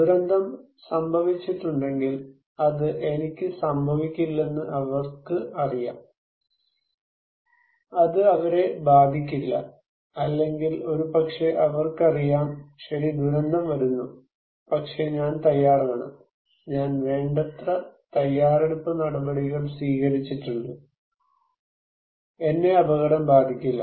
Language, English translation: Malayalam, So, if disaster happened, they know that it will not happen to me, it would not happen to them, or maybe they are knowing that okay, disaster is coming but I am prepared, the preparedness measures I took enough so, I would not be at risk okay, I would not be impacted